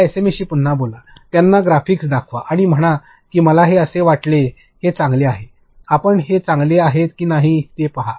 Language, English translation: Marathi, Again talk to your SME, show them the graphics and say that I think this is good; you see if it is good